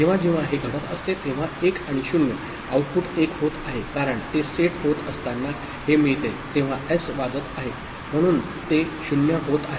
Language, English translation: Marathi, So, whenever that is happening, so 1 and 0 the output is becoming one because it is getting set after that when it is getting, S because of the ringing, so it is becoming 0